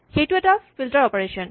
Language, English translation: Assamese, It is called filter